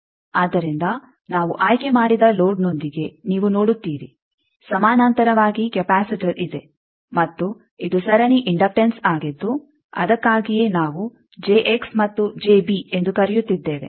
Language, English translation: Kannada, So, you see with the load we choose that there is a capacitor in parallel and this is a series inductance that is why we are calling J X and j b